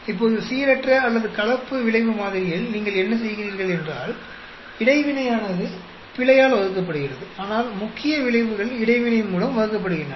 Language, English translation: Tamil, Now, in the random or mixed effect model, what do you do is, the interaction is divided by error, but main effects are divided by interaction